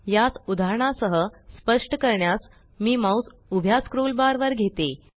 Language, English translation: Marathi, To illustrate this, let me take the mouse to the vertical scroll bar